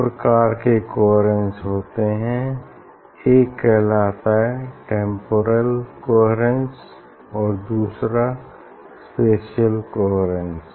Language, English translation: Hindi, there are two types of coherent, this is called temporal coherence and spatial coherence